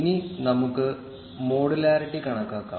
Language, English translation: Malayalam, Now, let us compute modularity